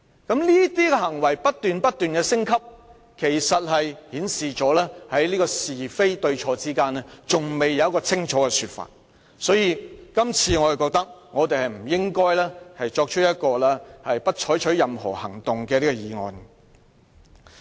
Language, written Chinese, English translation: Cantonese, 他的行為不斷升級，顯示出他在是非對錯之間尚未給予清楚的說法，所以我認為大家這次不應支持這項"不得就譴責議案再採取任何行動"的議案。, The continued escalation of his deeds shows that he has failed to give a clear answer to the very question of right and wrong . For these reasons I do not think Members should support this motion that no further action shall be taken on the censure motion this time